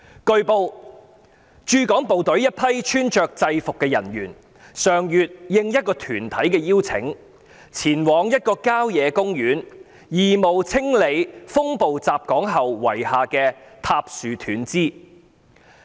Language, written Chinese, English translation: Cantonese, 據報，駐港部隊一批穿着制服的人員上月應一個團體的邀請，前往一個郊野公園義務清理風暴襲港後遺下的塌樹斷枝。, It has been reported that at the invitation of an organization a group of members of the HK Garrison in uniform went to a country park last month in a volunteer effort to clear fallen trees and broken branches which were left behind after the onslaught of a storm in Hong Kong